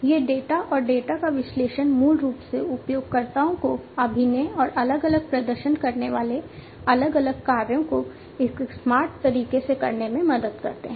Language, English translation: Hindi, And these data and the analysis of the data basically help the users in acting, in acting and making different performing different actions, in a smarter way